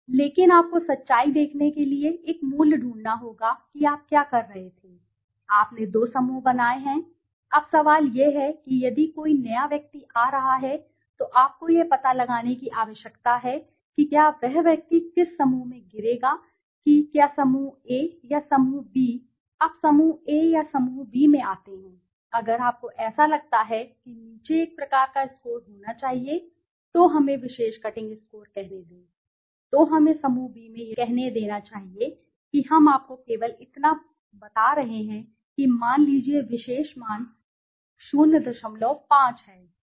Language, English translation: Hindi, But you have to find a value to see truth what was happening you have created two groups right now the question is if a new person is coming you need to find out whether the person will fall into which group whether group A or group B now to fall into group A or group B there has to be a kind of a score if you so that if it is below so let us say the particular cutting score then it is in let us say group B let us say I am just telling you suppose particular value is let us say 0